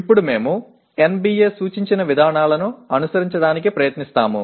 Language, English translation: Telugu, Now we try to follow a little bit or rather we try to follow the procedures indicated by NBA